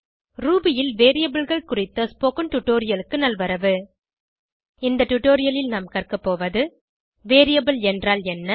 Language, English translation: Tamil, Welcome to the Spoken Tutorial on Variables in Ruby In this tutorial we will learn What is a variable